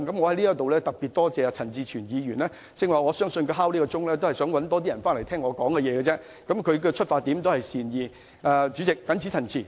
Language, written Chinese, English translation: Cantonese, 我特別感謝陳志全議員，他剛才要求點算法定人數，讓更多議員返回會議廳聽我發言，其出發點也是善意的。, I extend special thanks to Mr CHAN Chi - chuen . His request for a headcount just now has resulted in more Members returning to the Chamber to listen to my speech . He is well - intentioned from the outset